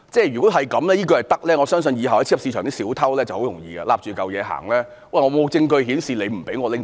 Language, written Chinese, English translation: Cantonese, 如果這樣也可以，我相信以後在超級市場的小偷便可以申辯說："沒有證據顯示你不准我拿走。, If that is acceptable I believe that in future a shoplifter caught in a supermarket will defend that there is no evidence to prove that the supermarket disallows him to take away the goods